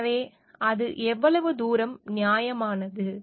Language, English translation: Tamil, So, how far it is justified